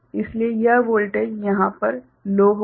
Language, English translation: Hindi, So, this voltage will be low over here